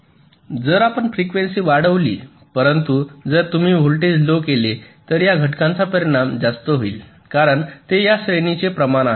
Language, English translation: Marathi, so if you increase the frequency but if you dec and decrease the voltage, the impact of this decrease will be much more because it is proportion to square of that